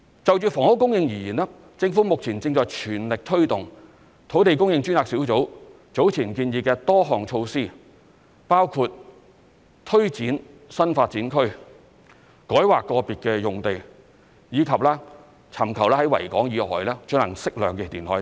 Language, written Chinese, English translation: Cantonese, 就房屋供應而言，政府目前正在全力推動土地供應專責小組早前建議的多項措施，包括推展新發展區、改劃個別用地，以及尋求在維港以外進行適量填海等。, As far as housing supply is concerned the Government is pressing ahead with the initiatives proposed earlier by the Task Force on Land Supply including taking forward new development areas rezoning individual sites and seeking to undertake reclamation on an appropriate scale outside the Victoria Harbour